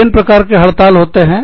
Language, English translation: Hindi, Various types of strikes